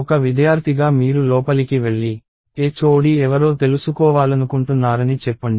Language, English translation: Telugu, Let us say, you as a student walk in and you want to find out, who the HOD is